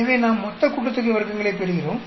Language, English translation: Tamil, So we get the total sum of squares